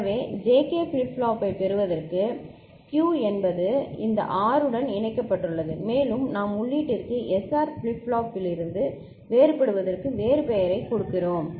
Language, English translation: Tamil, So, what has been done to get the JK flip flop is Q is connected to this R and we are giving a different name of the input, K to distinguish to differentiate it from SR flip flop